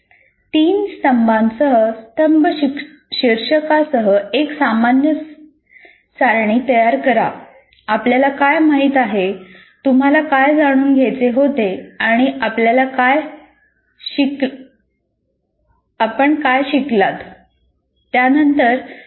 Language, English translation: Marathi, You create a kind of a table with three columns where you write, what do I know, what I wanted to know, and what is it that I have learned